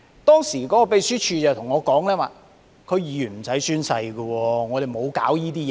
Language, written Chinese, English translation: Cantonese, 當時秘書處告訴我，區議員無須宣誓，沒有這需要。, The Secretariat told me that DC members were not required to take oath and there was no need to do so